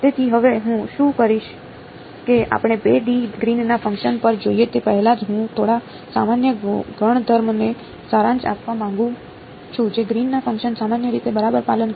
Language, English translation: Gujarati, So, what I will do now is before we go to 2 D Green’s functions I want to summarize a few general properties that Green’s functions obey in general ok